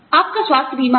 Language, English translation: Hindi, You have health insurance